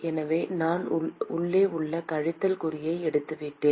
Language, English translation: Tamil, So,I have just taken the minus sign inside